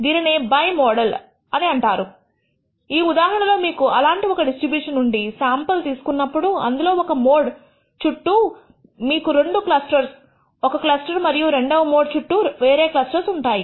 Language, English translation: Telugu, What is called a bimodal distribution in which case if you sample from such a distribution, you will nd two clusters one clusters around the one of the modes and another cluster around the second mode